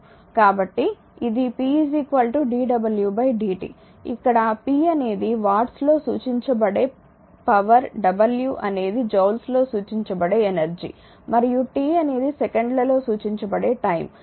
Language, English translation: Telugu, So, it is p is equal to dw by dt where p is the power in watts right w is the energy in joules right and t is the time in second